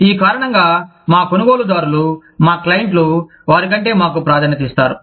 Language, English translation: Telugu, Because of which, our buyers, our clients, prefer us over them